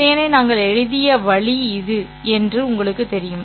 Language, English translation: Tamil, You know, this is the way we had written out the vector